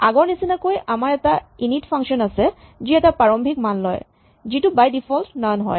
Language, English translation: Assamese, So, as before we have an init function which takes an initial values which is by default none